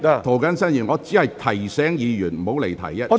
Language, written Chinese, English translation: Cantonese, 涂謹申議員，我只是提醒委員不要離題，請坐下。, Mr James TO I just meant to remind the Member speaking not to digress from the subject please sit down